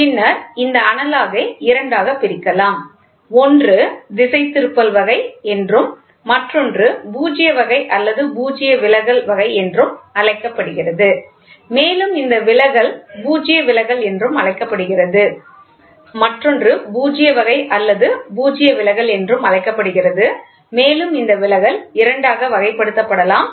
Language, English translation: Tamil, Then, this analog can be divided into two; one is called as deflecting type, the other one is called as null type, null deflection, right and this deflective can be further classified into two